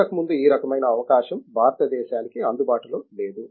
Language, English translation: Telugu, Previously this type of opportunity was not available for India